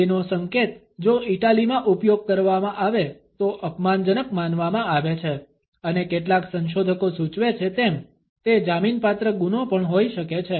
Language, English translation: Gujarati, The second gesture if used in Italy is considered to be offensive and as some researchers suggest, it can be a jailable offense also